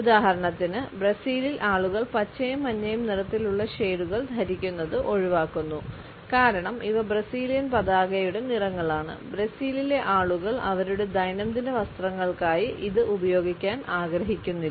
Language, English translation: Malayalam, For example, in Brazil people tend to avoid wearing shades of green and yellow because these are the colors of the Brazilian flag and the people of brazil do not want to use it for their day to day apparels